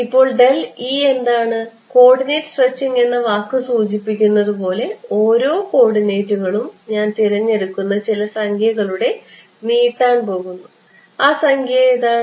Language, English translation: Malayalam, Now what is del E right as the word coordinate stretching suggests each of the coordinates is going to gets stretched by some number which I choose and what is that number it look strange, but that is going to be the approach